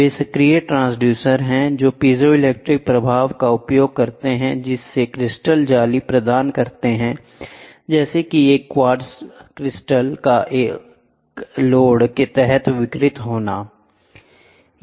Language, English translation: Hindi, They are active transducers utilizing piezo electric effect by which give the crystal lattice of say a quartz crystal is deformed under a load